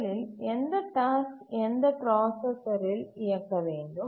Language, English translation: Tamil, One is which task will run on which processor